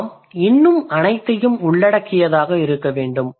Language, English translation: Tamil, We need to be more inclusive